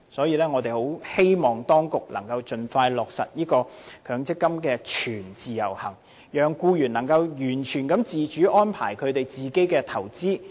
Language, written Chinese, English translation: Cantonese, 因此，我們十分希望當局能夠盡快落實強積金全自由行，讓僱員能夠完全自主地安排他們的投資。, For this reason we hope that the Administration will expeditiously implement full portability of MPF schemes thereby enabling employees to have full control over their investment strategy